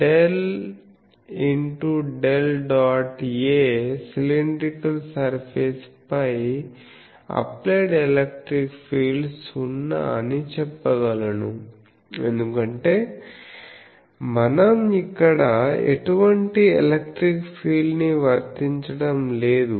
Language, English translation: Telugu, On the cylinder on the cylindrical surface I can say applied electric field is 0, because we are not applying any electric field there